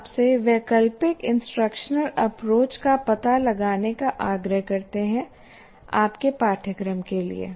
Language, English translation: Hindi, So we urge you to kind of explore alternative instructional approaches for your course